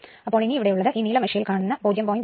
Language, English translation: Malayalam, So, here it is actually not this one, this is blue one right, so 0